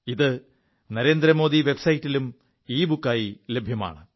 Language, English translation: Malayalam, This is also available as an ebook on the Narendra Modi Website